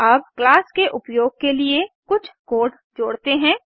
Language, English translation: Hindi, Now let us add some code that will make use of this class